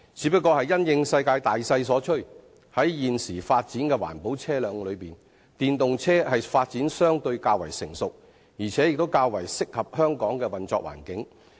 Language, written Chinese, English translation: Cantonese, 不過，因應世界大勢所趨，在現時各種環保車輛中，電動車的發展相對較為成熟，而且較為適合香港的環境。, But we should keep abreast of the global trend so I would say that electric vehicles EVs are more advanced in development than other types of environment - friendly vehicles and they are also more suited to the environment in Hong Kong